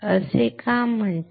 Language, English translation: Marathi, Why is it called so